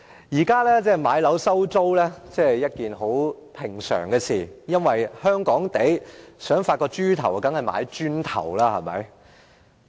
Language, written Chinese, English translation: Cantonese, 現時買樓收租是十分平常的事情，如果香港人想發達，當然要買"磚頭"。, Nowadays it is pretty common for people to buy properties and let them out and Hong Kong people must go for bricks and mortar if they want to get rich